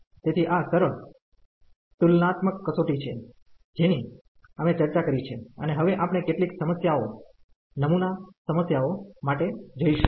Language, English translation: Gujarati, So, these are the simple comparison test which we have discussed and now we will go for some problems sample problems